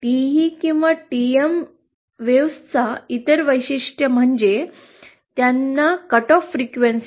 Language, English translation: Marathi, The other property characteristics of TE or TM wave is they have something called as cut off frequency